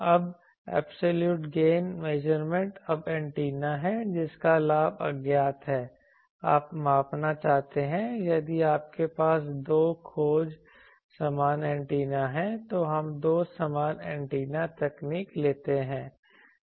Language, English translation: Hindi, Now absolute gain measurement; now there are if the antenna whose gain is unknown you want to measure, if you have two search identical antennas, then we take two identical antenna technique